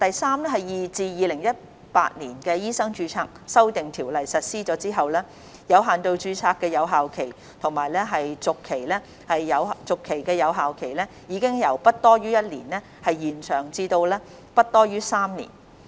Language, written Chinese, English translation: Cantonese, 三自《2018年醫生註冊條例》實施後，有限度註冊的有效期和續期有效期已由不多於1年延長至不多於3年。, 3 With the commencement of the Medical Registration Amendment Ordinance 2018 the validity period and the renewal period of limited registration have been extended from not exceeding one year to not exceeding three years